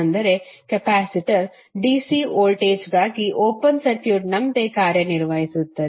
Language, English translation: Kannada, That means the capacitor acts like an open circuit for dC voltage